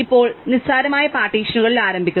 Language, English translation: Malayalam, Now, we begin with trivial partitions